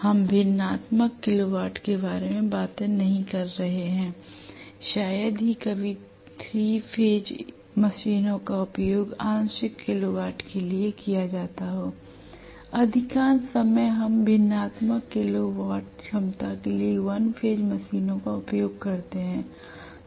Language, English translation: Hindi, If you are talking about of hundreds of kilo watt, we may call that as high capacity right We are not talking about fractional kilo watt at all hardly ever 3 phase machines are used for fractional kilo watts